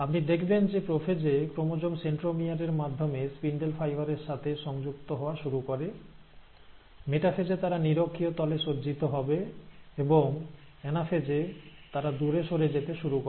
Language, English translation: Bengali, So, you find that in prophase, the chromosome start attaching to the spindle fibre through the centromere, they will arrange at the equatorial plane at the metaphase, and then at the anaphase, they start separating apart